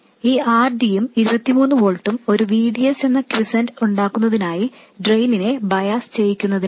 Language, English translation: Malayalam, This RD and this 23 volts, this is for biasing the drain to establish a quiescent VDS